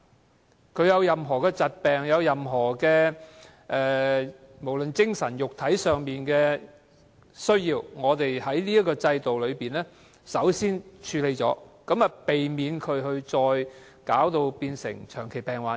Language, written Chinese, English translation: Cantonese, 市民有任何疾病，無論精神或肉體上需要醫療服務，我們在這制度下先作處理，避免病人成為長期病患者。, All diseases mental and physical alike will first be coped with under this system before they will develop into chronic illnesses